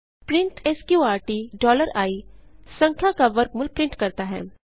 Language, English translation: Hindi, print sqrt $i prints square root of a number